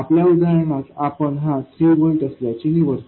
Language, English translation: Marathi, In our numerical example we chose this to be 3 volts